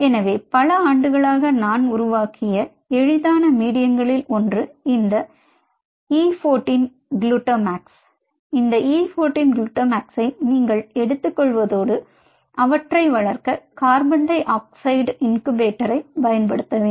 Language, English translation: Tamil, so one of the easiest medium what i have developed over the years is you take for this e fourteen, glutamax plus, if you wanted to use a, a carbon dioxide incubator, to grow them